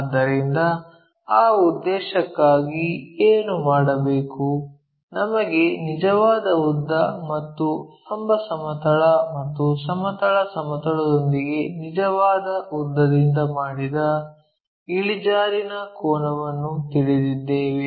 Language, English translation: Kannada, So, for that purpose what we have to do, we know the true length and we know the inclination angle made by the true length with vertical plane and also horizontal plane